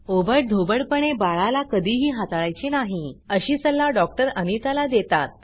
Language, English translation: Marathi, The doctor advices Anita to never handle the baby roughly